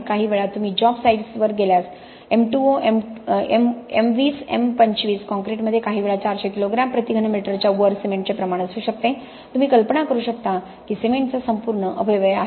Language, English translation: Marathi, Sometimes you see if you go to job sites M20, M25 concrete can sometimes have cement contents upwards of 400 kilo grams per cubic meter you can imagine that is a complete waste of cement